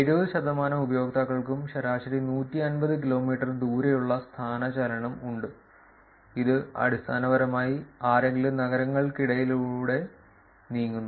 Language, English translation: Malayalam, 70 percent of the users have an average displacement of at most 150 kilometers, which is basically somebody moving between cities